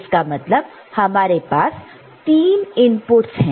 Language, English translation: Hindi, So, basically there are 3 inputs